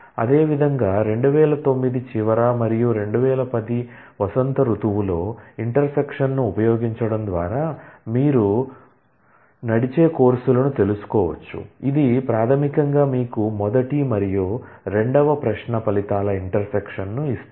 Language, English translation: Telugu, Similarly, you can find out the courses that run, both in fall 2009 and spring 2010 by using intersect, which basically give you the intersection of the result of the first and the second query